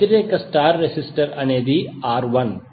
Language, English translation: Telugu, The opposite star resistor is R1